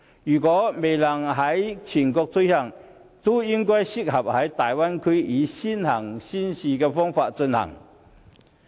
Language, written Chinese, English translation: Cantonese, 如果這些措施未能全國推行，也適宜在大灣區內以先行先試的方式進行。, If these initiatives cannot be rolled out nationwide they are suitable for early and pilot implementation in the Bay Area